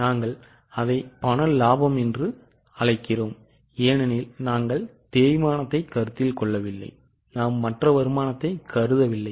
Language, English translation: Tamil, We call it cash profit because we have not considered depreciation